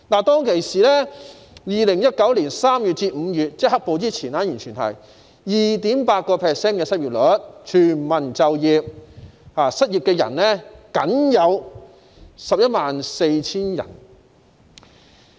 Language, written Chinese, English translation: Cantonese, 在2019年3月至5月，即"黑暴"出現前，失業率是 2.8%， 全民就業，失業人數僅為 114,000 人。, From March to May 2019 which was before the occurrence of black - clad riots the unemployment rate was 2.8 % . With full employment there were only 114 000 unemployed people